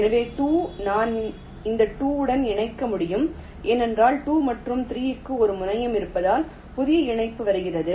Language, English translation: Tamil, so two, i can connect to this two because there is a terminal for two and three